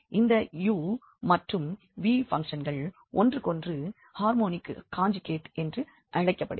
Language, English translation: Tamil, And these functions u and v are called harmonic conjugate of each others